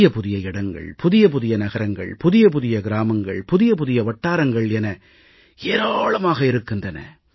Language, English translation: Tamil, New places, new cities, new towns, new villages, new areas